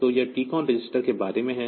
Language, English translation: Hindi, So, this is about the TCON register